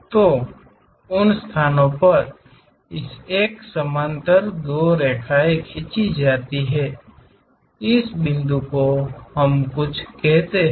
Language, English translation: Hindi, So, at those locations draw two lines parallel to this one, let us call this point as something E